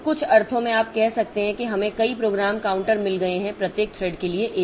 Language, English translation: Hindi, So, in some sense you can say we have got multiple program counters for a one for each thread